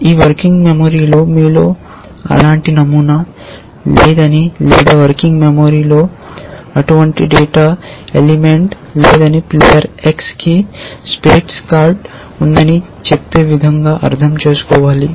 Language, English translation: Telugu, It should be interpreted as saying that there is no such pattern in your, in your working memory or there is no such data element in the working memory which says that player x, this is a variable x has a card of spades